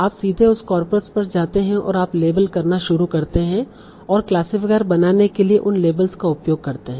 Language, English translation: Hindi, So you all you directly go to the corpus, start labeling and use those labels to create your classifier